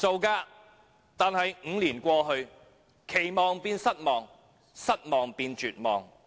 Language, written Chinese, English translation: Cantonese, 可是 ，5 年過去，期望變失望，失望變絕望。, However five years have passed and my expectations have become disappointment and then loss of hope